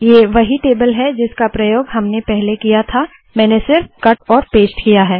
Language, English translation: Hindi, Its the same table that we used earlier, I just cut and pasted it